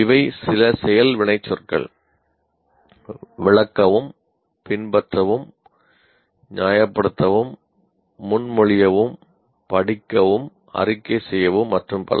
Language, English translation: Tamil, So, these are some action works like explain, follow, justify, propose, read, report, etc